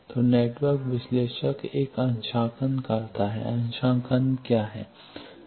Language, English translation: Hindi, So, network analyzer does a calibration, what is calibration